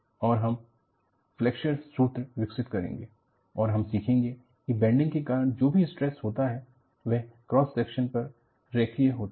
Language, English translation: Hindi, And, you develop the Flexure formula and you learn whatever the stresses due to bending are linear over the cross section